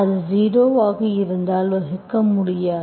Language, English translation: Tamil, If it is zero, you cannot divide